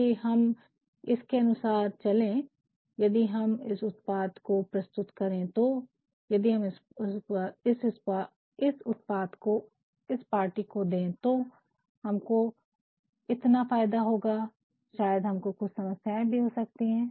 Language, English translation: Hindi, If, we go by this, if we launch this product, if we gave this project to this party, we have this much a benefit maybe we also can have certain problems